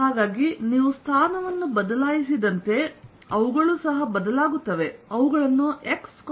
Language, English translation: Kannada, so as you change the position, they also change